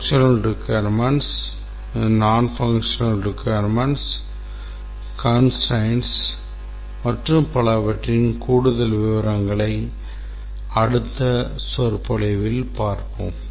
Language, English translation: Tamil, We will look at more details of functional requirements, non functional requirements constraints and so on in the next lecture thank you